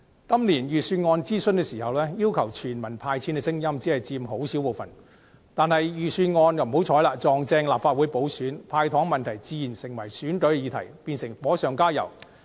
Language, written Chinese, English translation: Cantonese, 今年預算案諮詢期間，要求全民"派錢"的聲音只佔很小部分，但不幸碰巧是立法會補選期，"派糖"問題自然成為了選舉議題，變成火上加油。, During the Budget consultation this year the calls for a universal cash handout were only a minority . However since the consultation coincided with the Legislative Council by - election period giving away candies naturally became an election issue and added fuel to the flames